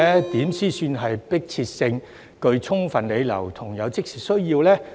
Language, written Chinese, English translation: Cantonese, 如何才算有迫切性、具充分理由和有即時需要呢？, What can be considered as a compelling overriding and present need?